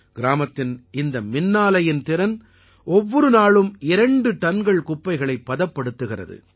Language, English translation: Tamil, The capacity of this village power plant is to dispose of two tonnes of waste per day